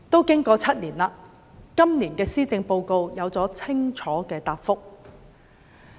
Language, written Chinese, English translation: Cantonese, 經過了7年，今年的施政報告有了清楚的答覆。, After seven years a clear answer is given in the Policy Address this year